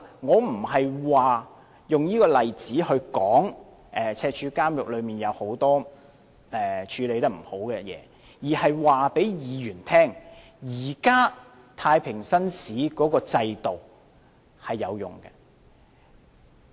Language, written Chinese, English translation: Cantonese, 我不是用這個例子來說赤柱監獄有很多處理不善的地方，而是要告訴議員，現時的太平紳士巡視制度是有用的。, I am not quoting this example to say that many aspects in Stanley Prison are not properly handled but am only telling Members that the existing JP system is effective